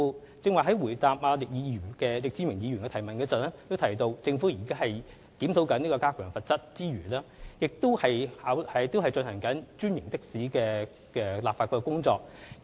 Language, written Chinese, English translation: Cantonese, 我剛才回答易志明議員的主題質詢時亦提到，政府在檢討加強罰則之餘，亦已展開專營的士的立法工作。, As I have pointed out in reply to Mr Frankie YICKs main question while the Government is reviewing the need to raise the penalties it has also commenced the legislative work of franchised taxis